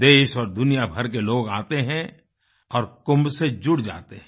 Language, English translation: Hindi, People from all over the country and around the world come and participate in the Kumbh